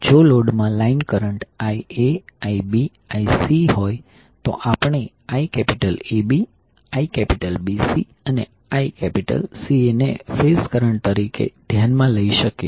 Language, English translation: Gujarati, So if the line current is Ia, Ib, Ic in the load we consider phase current as Iab, Ibc and Ica